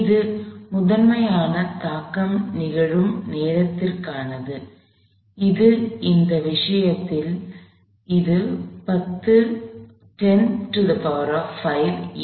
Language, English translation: Tamil, This is primarily for the time over which the impact occurs; which in this case is 10 power minus 5 seconds